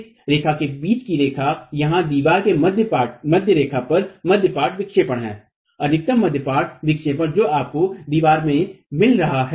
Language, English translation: Hindi, The line between this distance here at the center line of the wall is the mid span deflection, the maximum mid span deflection that you are getting in the wall